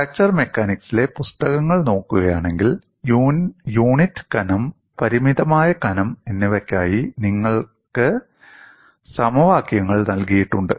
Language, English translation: Malayalam, See, if you look at books in fracture mechanics, you have equations given for unit thickness as well as for a finite thickness